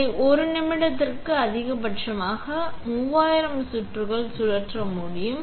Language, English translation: Tamil, This one can maximum be spun at 3000 rounds per minute